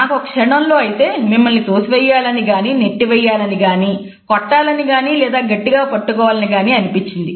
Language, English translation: Telugu, I had a moment where I was kind of wanting to push you or shove you or punch you or grab you